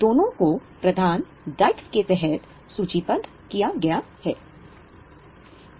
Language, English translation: Hindi, Both are listed under the head liabilities